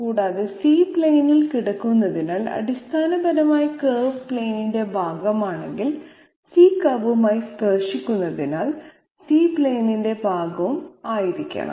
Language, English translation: Malayalam, Further since C is lying on the plane because essentially if the curve is part of the plane therefore, C has to be part of the plane as well because C is tangent to the curve